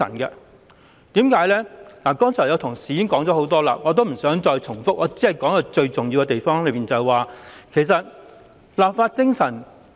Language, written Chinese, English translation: Cantonese, 關於這一點，剛才已有同事詳細談論，我不想重複，只會討論箇中最重要之處，即立法精神。, On this point as some Honourable colleagues have already discussed in detail I will not repeat . I will mainly talk about the most important issue ie . the spirit of law - making